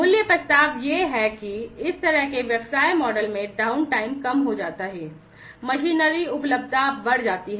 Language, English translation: Hindi, The value proposition is that this kind of business model leads to reduce downtime, increased machinery availability